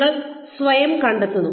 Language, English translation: Malayalam, You find yourself in